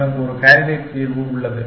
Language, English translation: Tamil, I have a candidate solution